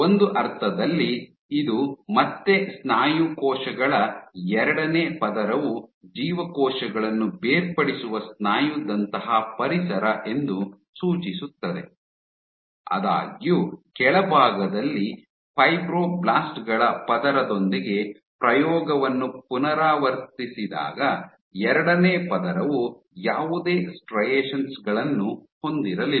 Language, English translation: Kannada, In a sense this suggested again the second layer of muscle cells are seeing a muscle like environment on which the differentiate; however, when the experiment was repeated with a layer of Fibroblasts at the bottom